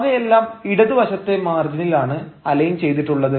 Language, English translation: Malayalam, they are aligned with the left hand margin, fine